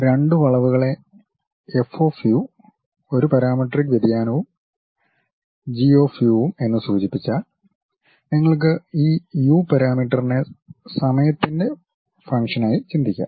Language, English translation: Malayalam, If two curves are denoted by F of u, a parametric variation and G of u; you can think of this parameter u as a function of time also